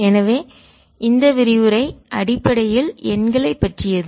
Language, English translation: Tamil, so this lecture essentially about numbers